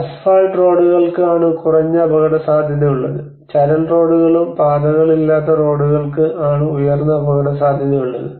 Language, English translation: Malayalam, And the roads which is asphalt roads which having the low risk and gravel roads and unpaved roads which are more into the high risk